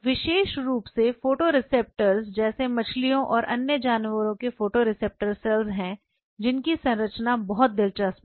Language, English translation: Hindi, There are cells like photoreceptor cells especially photoreceptors of fishes and other animals whose structure is very interesting